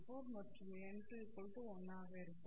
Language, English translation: Tamil, 44 and n2 equals 1 for the second case